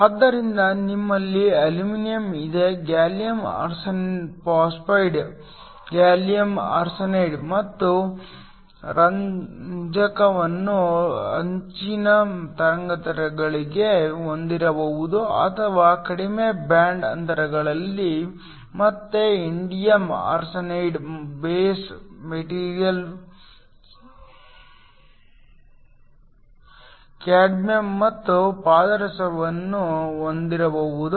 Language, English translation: Kannada, So, you have aluminum, gallium arsenide can also have gallium arsenic and phosphorus for the higher wavelengths or the lower bind gaps can again have indium arsenide base materials, cadmium and mercury